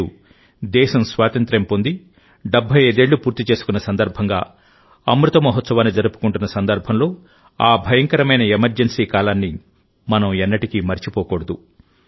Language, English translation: Telugu, Today, when the country is celebrating 75 years of its independence, celebrating Amrit Mahotsav, we should never forget that dreadful period of emergency